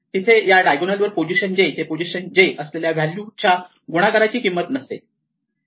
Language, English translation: Marathi, There is no cost involved with doing any multiplication from position j to position j along this diagonal